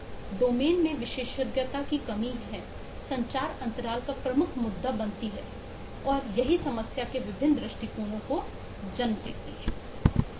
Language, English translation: Hindi, So the lack of expertise across domains is a major issue of communication gap and that gives rise to different perspective on the nature of the problem